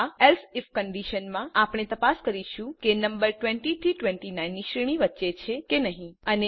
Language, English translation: Gujarati, In this else if condition we check whether the number is in the range of 20 29